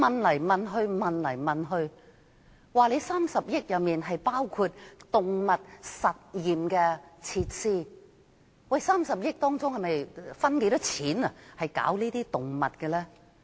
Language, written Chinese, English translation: Cantonese, 我多次追問當局 ，30 億元包括動物實驗的設施，當中有多少錢是用在動物身上？, I have asked the authorities time and again how much money will be spent on animals out of the 3 billion set aside for facilities including those for animal experiments